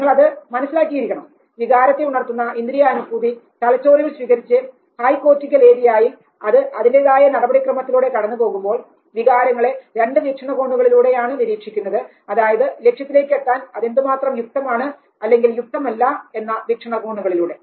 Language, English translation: Malayalam, Now this you know the emotion invoking sensation that had been received by the brain when the high cortical area processes it looks at emotions largely from two perspectives how congruent or incongruent it is to the goal